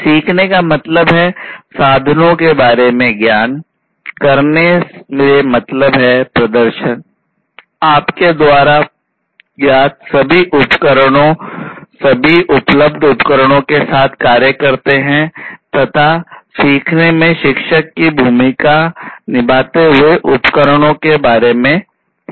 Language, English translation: Hindi, Learn means having clear knowledge about the tools; do means perform, all the tools you know act with all the tools that are available, and teach move into the role of a teacher to teach about these different tools